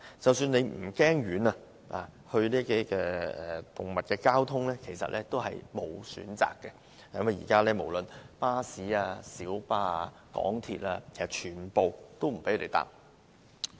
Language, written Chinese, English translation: Cantonese, 即使大家不怕遠，但帶着動物不可能乘搭公共交通，現時無論巴士、小巴、港鐵，全部都不准攜犬上車。, Even if pet owners are willing to go to a remote dog garden they cannot bring along their pets to travel on public transport . At present buses minibuses and the Mass Transit Railway do not allow people to carry their pets on board